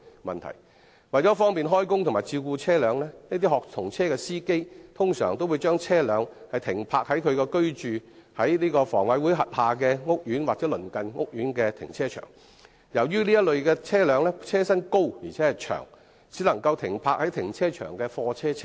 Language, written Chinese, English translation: Cantonese, 為了方便開工及照顧車輛，一些學童車的司機通常會把車輛停泊在所居住香港房屋委員會轄下的屋苑或鄰近屋苑的停車場，但這類車輛的車身既高且長，故此只能夠停泊在停車場的貨車車位。, Some drivers of student service vehicles may park the vehicles in car parks of the housing estates where they live or in car parks of the neighbouring housing estates which are managed by the Hong Kong Housing Authority so that it will be more convenient for them to start work and maintain the vehicles . As these vehicles are tall and long they can only be parked in the parking spaces for goods vehicles